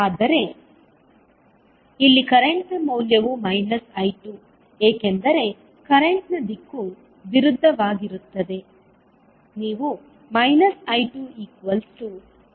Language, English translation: Kannada, But here the value of current is also minus of I2 because the direction of current is opposite